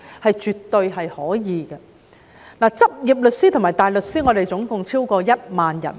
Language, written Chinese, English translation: Cantonese, 香港的執業律師及大律師超過1萬人。, There are over 10 000 practising solicitors and barristers in Hong Kong